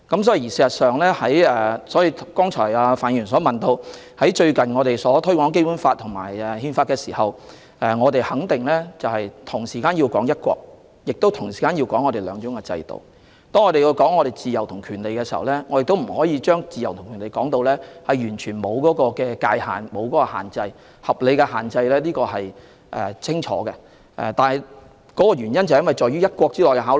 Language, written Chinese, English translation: Cantonese, 所以，范議員剛才問到我們近日推廣《基本法》和《憲法》的工作，我們肯定要提到"一國"並同時提到"兩制"。當我們談及自由和權利時，亦不可把自由和權利說成完全沒有界限和合理限制，這點是很清楚的，這些都是在"一國"下的考慮。, So regarding Mr FANs question just now on our recent promotion of the Basic Law and the Constitution we definitely have to mention both one country and two systems; and when we mention our freedom and rights we cannot present them as something without any boundaries and reasonable restrictions . We have to make this point clear